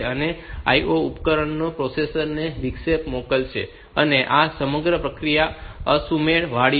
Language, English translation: Gujarati, So, IO device they will send an interrupt to the processor, and this whole process is asynchronous